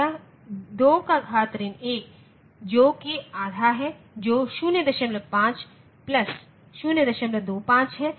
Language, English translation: Hindi, 2 power minus 1 that is half that is 0